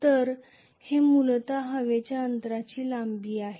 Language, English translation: Marathi, So, that is essentially the length of the air gap itself